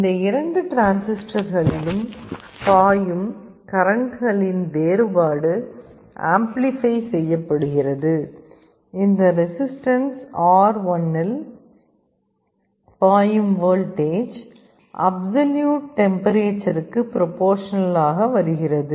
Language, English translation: Tamil, And the difference in the currents that are flowing into these two transistors is amplified and the voltage across this resistance R1, is actually becoming proportional to the absolute temperature